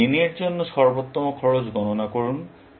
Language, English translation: Bengali, So, compute the best cost for n